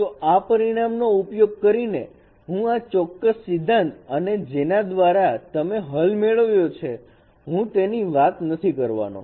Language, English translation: Gujarati, So using this result, so I am not going to discuss this particular theory by which no you get this result